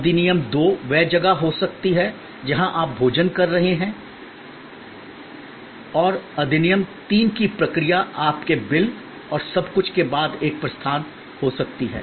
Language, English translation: Hindi, The act 2 can be where you are in the process of dining and act 3 can be a departure after your bill and everything is done